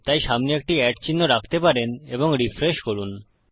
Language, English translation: Bengali, So you can put a @ symbol in front and refresh